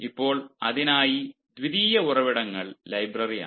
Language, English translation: Malayalam, fine, now for that the secondary sources are the library